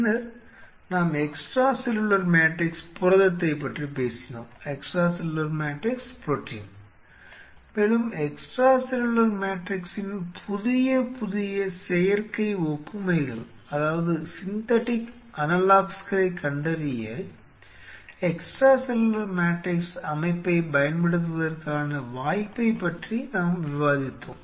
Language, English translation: Tamil, Then we talked about extracellular matrix protein and there we discuss the opportunity of using extracellular matrix system to discover newer and newer extra cellular matrix which may be even synthetic analogues